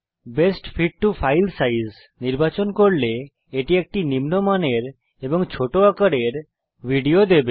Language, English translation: Bengali, Choosing Best fit to file size will give a lower quality video but with a smaller file size